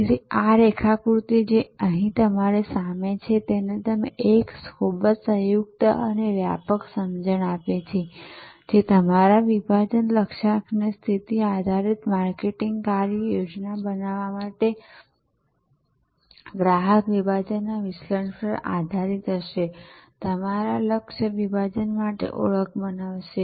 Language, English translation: Gujarati, So, this diagram, which is in front of you here, that gives you a very composite and comprehensive understanding that to create your segmentation targeting positioning based marketing action plan will be based on analysing customer segment, creating the identification for the your target segment